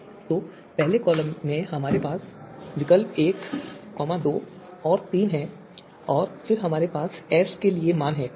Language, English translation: Hindi, So in the first column we have alternatives one two three and then we have the values for S so for alternative one is 0